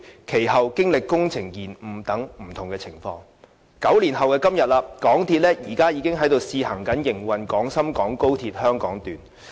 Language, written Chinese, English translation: Cantonese, 其後，經歷工程延誤等不同情況，至9年後的今天，香港鐵路有限公司現已在試行營運廣深港高鐵香港段。, Now nine years on after a host of mishaps such as project delays the MTR Corporation Limited MTRCL is finally conducting trial runs of the XRL Hong Kong Section